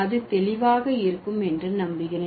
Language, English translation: Tamil, I hope it is clear now